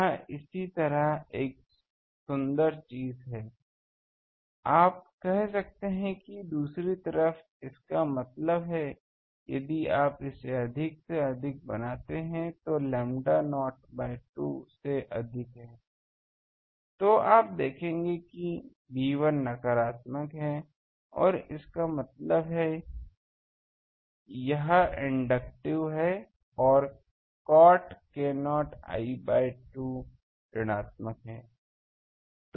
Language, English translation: Hindi, That is a beautiful thing similarly, you can say that on the other side; that means, if you make it higher than the so, l is greater than lambda not by 2, then you will see that B 1 is negative; that means, it is inductive and cot k not l by 2 is negative